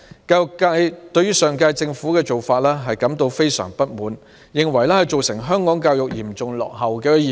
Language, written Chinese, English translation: Cantonese, 教育界對上屆政府的做法感到非常不滿，認為這做法導致香港教育嚴重落後。, The education sector is very dissatisfied with the practice of the previous - term Government as education in Hong Kong would be lagging far behind as a result